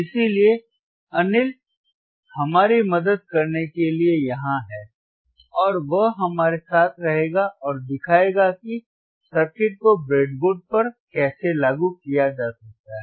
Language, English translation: Hindi, So, Anil is here to help us, and he will be he will be showing us how the circuit you can be implemented on the breadboard